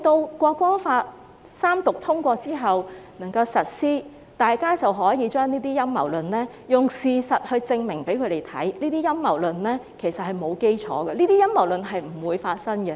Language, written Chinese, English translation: Cantonese, 當《條例草案》三讀通過並實施後，大家便可以用事實來證明，這些陰謀論並沒有基礎，亦不會發生。, After the passage of the Third Reading of the Bill and upon its implementation we can then use the facts to prove that these conspiracy theories are unfound and they will not happen as well